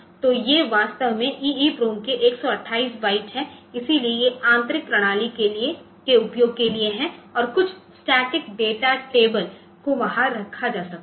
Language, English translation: Hindi, So, these are actually some for the 128 byte of EEPROM so, this is the these are for internal systems to usage and some static data tables can be put there